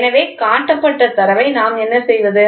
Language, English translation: Tamil, So, what do we do with the shown data